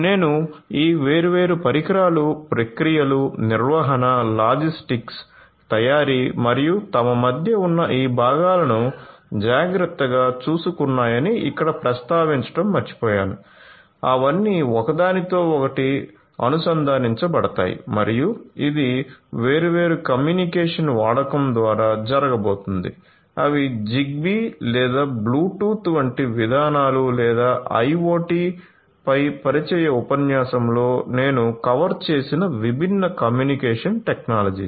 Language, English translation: Telugu, So, I forgot to mention over here that these different devices taken care of processes, maintenance, logistics, manufacturing and also these components between themselves they are all going to be connected with each other right and this is going to happen through the use of different communication mechanisms like Zigbee or Bluetooth or the different different communication technologies that I covered in a in the introductory lecture on IoT